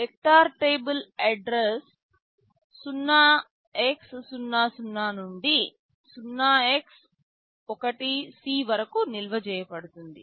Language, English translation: Telugu, The vector table is stored from address 0x00 to 0x1c